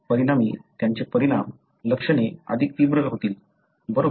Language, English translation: Marathi, As a result, they will have more severe effect, symptoms, right